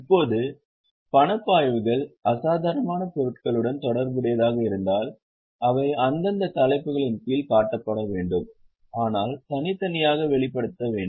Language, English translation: Tamil, Now if the cash flows are associated with extraordinary items, they should be shown under the respective heads but to be separately disclosed